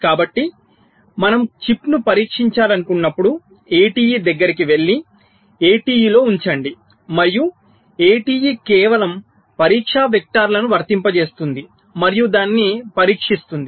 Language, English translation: Telugu, so when you want to test the chip, we have to go near the a t e, put it on the a t e and a t e will be just applying the test vectors and test it